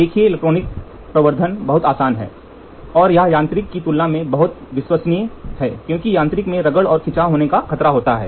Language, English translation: Hindi, See electronic amplification is very very easy and it is very very reliable as compared to mechanical because mechanical, it is prone to have a wear and tear